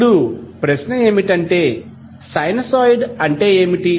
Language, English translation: Telugu, Now the question would be like what is sinusoid